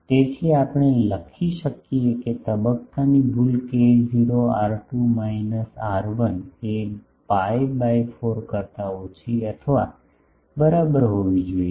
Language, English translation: Gujarati, So, we can write that the phase error will be k not R2 minus R1 should be less than equal to pi by 4